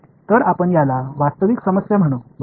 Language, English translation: Marathi, So, this is we will call this a real problem right